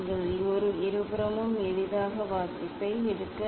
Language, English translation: Tamil, that you can take the reading easily in both side